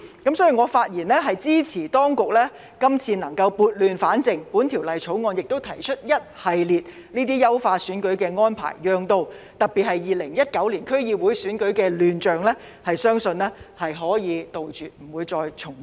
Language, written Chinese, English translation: Cantonese, 所以，我發言支持當局今次撥亂反正，在本條例草案中提出一系列優化選舉的安排，特別是令到2019年區議會選舉的亂象，相信可以杜絕不會重現。, Hence I speak in support of the Administrations move to put things right by proposing in the Bill a series of measures to enhance the electoral arrangements which I believe can especially avert recurrence of the chaos in the 2019 District Council Election